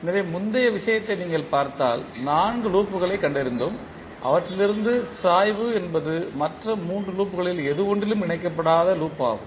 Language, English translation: Tamil, So, if you see the previous case we found 4 loops out of that the slope is the loop which is not connecting through any of the other 3 loops